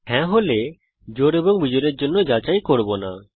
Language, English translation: Bengali, If yes then we will not check for even and odd